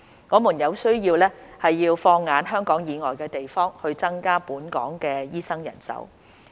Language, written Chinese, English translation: Cantonese, 我們有需要放眼香港以外的地方，以增加本港醫生人手。, We need to tap on non - local sources in order to increase the supply of doctors in Hong Kong